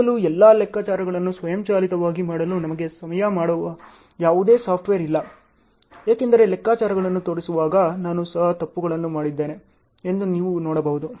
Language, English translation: Kannada, Still now, there are no software which can help us to do all the calculations automatically, as you can see I also have done mistakes while showing the calculations